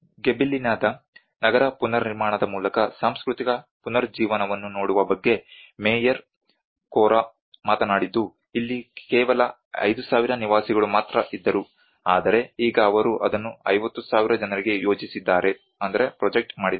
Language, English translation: Kannada, And this is where the Mayor Corra have talked about looking at cultural renaissance through the urban reconstruction of Gibellina earlier it was only a 5000 habitants, but now they projected it for 50,000 people